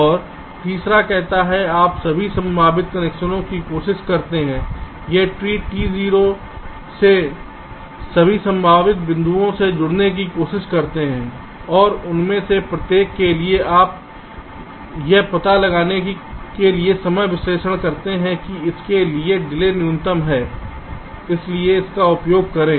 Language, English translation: Hindi, and the third one says: you try all possible connections, try to connect to all possible points in that tree, t zero, and for each of these you do timing analysis to find out that for which the delay is minimum